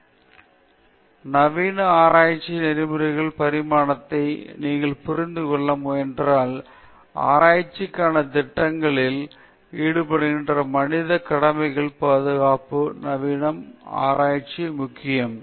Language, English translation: Tamil, So, if you try to understand the evolution of modern research ethics, we could see that the protection of human subjects involved in research projects was one of the primary concerns of research ethics in the modern day